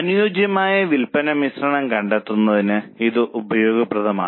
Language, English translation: Malayalam, Now this is useful for finding suitable sales mix